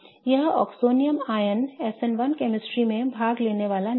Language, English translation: Hindi, This oxonium ion is thus not going to take part in SN1 chemistry